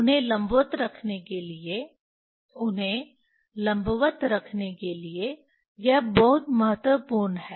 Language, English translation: Hindi, This is very important to keep them, to keep them vertical, to keep them vertical